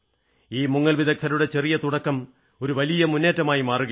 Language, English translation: Malayalam, This small beginning by the divers is being transformed into a big mission